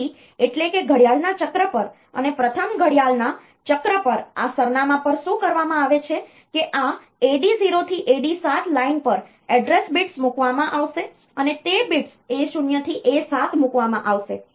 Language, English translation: Gujarati, So, that is so what is done at the at the at the clock cycle and the at the first clock cycle this address, this on the line AD 0 to AD 7 the address bits will be put that is the bits A 0 to A 7 will be put